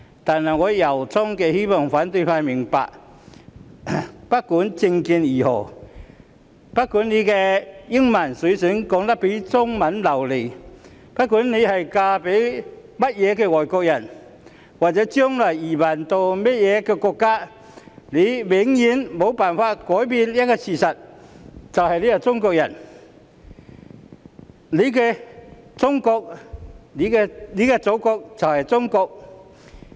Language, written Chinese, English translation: Cantonese, 但我由衷地希望反對派明白，不管政見如何、不管英文說得比中文流利、不管嫁給甚麼外國人，或者將來移民到甚麼國家，他們永遠無法改變自己是中國人的事實，他們的祖國就是中國。, But I sincerely hope that the opposition camp would understand regardless of their political views whether they speak English more fluently than Chinese whoever foreigners they married or to which countries they will emigrate in the future they will never be able to change the fact that they are Chinese and their Motherland is China